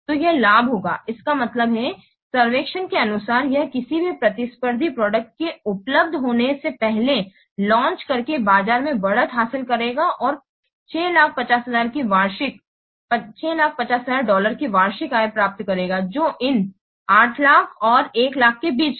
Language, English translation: Hindi, So it will gain, that means, it will gain, so according to the survey, it will gain a market lead by launching before any competing product becomes available and achieve annual income of $6,000,000 which is in between this $8,000 and 1,000